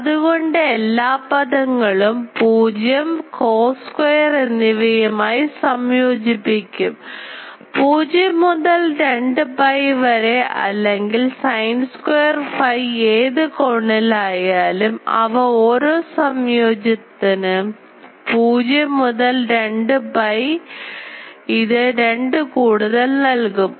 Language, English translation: Malayalam, So, a single terms all will um integrate to 0 and cos square; whatever angle from 0 to 2 pi or sin square phi, they will give rise 2 each integration 0 to 2 pi a cos square term gives you a factor of pi sin square will get that